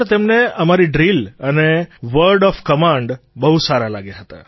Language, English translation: Gujarati, They admired our Drill & word of command, sir